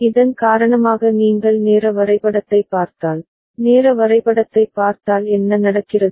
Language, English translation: Tamil, And because of this if you look at the timing diagram, if you look at the timing diagram what is happening